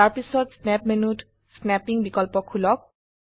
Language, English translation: Assamese, After that, explore the snapping options in the snap menu